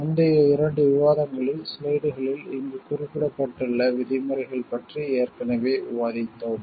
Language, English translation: Tamil, In the previous 2 discussions we have already discussed about the terms mentioned over here in the slides